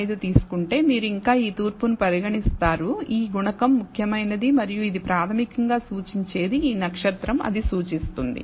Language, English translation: Telugu, 05 and so on you will still consider this east ,this coefficient, to be significant and that is what this is basically pointing out this star indicates that